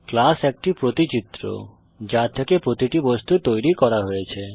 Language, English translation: Bengali, A class is the blueprint from which individual objects are created